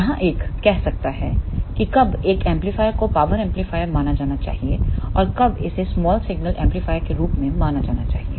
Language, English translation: Hindi, Here the one may say that when a amplifier should be considered as power amplifier and when it should be considered as small signal amplifier